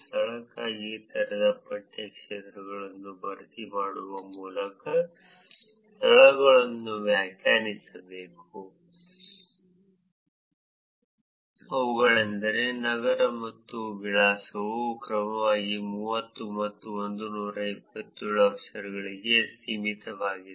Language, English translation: Kannada, For venue, is the location must be defined filling the open text fields, namely city and address limited to 30 and 127 characters respectively